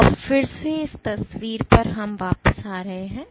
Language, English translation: Hindi, So now, again going back to this picture